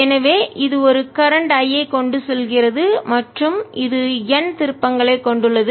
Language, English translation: Tamil, the solenoid carries a current i, so it carries a current i and has n turns